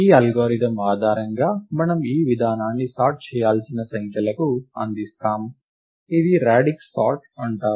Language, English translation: Telugu, Based on this algorithm, we present this approach to sort numbers, which is called the radix sort